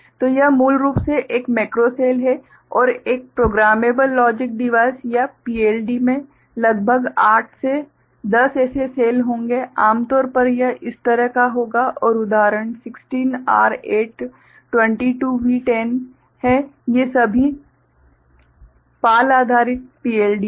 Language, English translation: Hindi, So, this is basically one macro cell and a programmable logic device or PLD will be having about 8 to 10 such cells, typically it will have like this right and examples are the 16R8, 22V10 these are all PAL based PLD ok